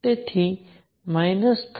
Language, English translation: Gujarati, So minus 13